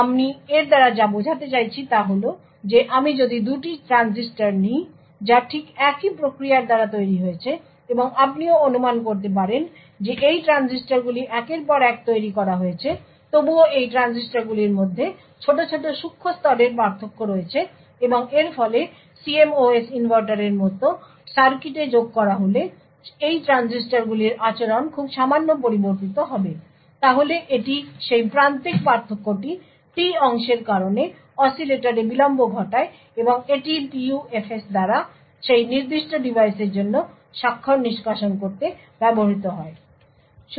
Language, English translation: Bengali, So, what I mean by this is that if I take 2 transistors which have been fabricated by exactly the same process and you could also, assume that these transistors are manufactured one after the other, still there are minor nanoscale variations between these transistors and as a result of this the behavior of these transistors when added to circuit such as CMOS inverter would vary very marginally, So, it is this marginal difference that causes delay in the oscillator due to the T part and this is what is used by PUFs to extract the signature for that particular device